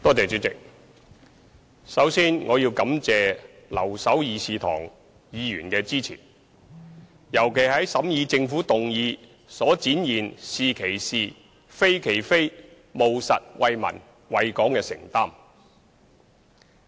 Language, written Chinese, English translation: Cantonese, 主席，首先我要感謝留守議事堂的議員的支持，尤其是在審議政府的休會待續議案時展現出"是其是、非其非"，務實為民、為港的承擔。, Chairman first of all I would like to thank Members who have remained in this Chamber for their support . In particular they have when considering the adjournment motion of the Government demonstrated a spirit of calling a spade a spade and an undertaking of serving the people and Hong Kong with pragmatism